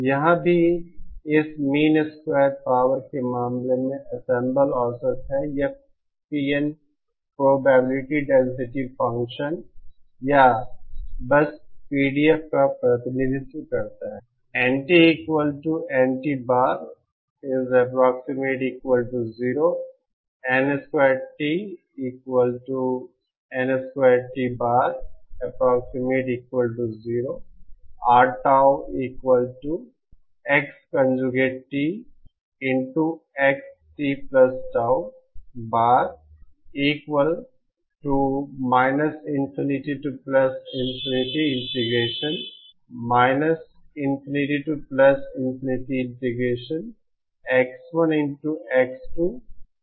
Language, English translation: Hindi, Here also, in the case of this mean square power, the ensemble average, this PN represents the probability density function or simply PDF